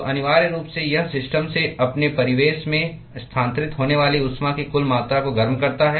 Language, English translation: Hindi, So, essentially it boils down the total amount of heat that is transferred from the system to its surroundings